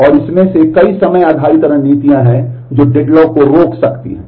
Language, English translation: Hindi, And from that there are multiple time based strategies which can prevent deadlock